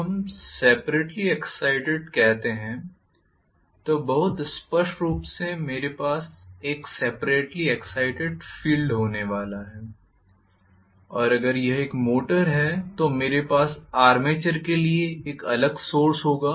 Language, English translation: Hindi, When we say separately excited very clearly, I am going to have a separate source for the field and if it is a motor I will have a separate source for the armature